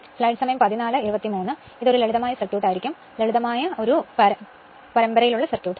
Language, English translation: Malayalam, So, that means, it will be a simple circuit right; simple series circuit